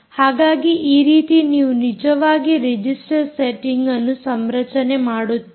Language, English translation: Kannada, you would actually configure, do a register setting